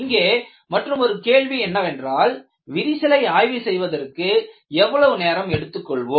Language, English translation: Tamil, And the other question that we would like to know is, what is the time available for inspecting the crack